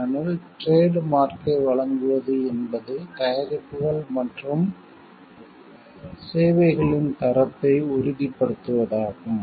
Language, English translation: Tamil, Because giving the trademark means it is the assurance of the quality of the products and services